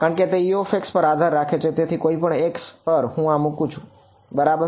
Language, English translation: Gujarati, Because it depends on U of x; so, at whatever x I am I put this right